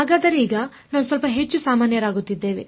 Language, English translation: Kannada, So, now, we are sort of becoming a little bit more general